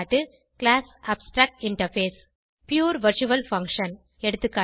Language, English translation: Tamil, class abstractinterface Pure virtual function eg